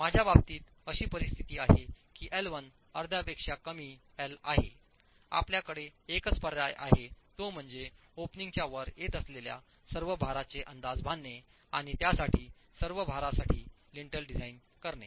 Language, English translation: Marathi, In case you have a situation where L1 is less than half of L, the only option that you have is make an estimate of all the load that is coming right above the opening, the load that actually is above the opening and design the lintel for all that load